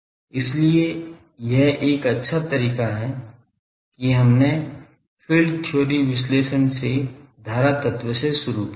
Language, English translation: Hindi, So, that is a nice way that we have started the current element from the analysis from field theory